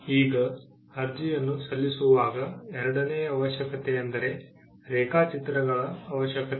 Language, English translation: Kannada, Now, the second requirement while filing an application is the requirement of drawings